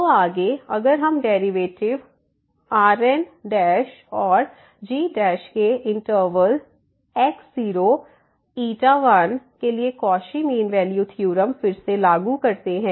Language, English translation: Hindi, So, further if we apply again the Cauchy mean value theorem for the derivatives derivative and derivative in the interval and xi 1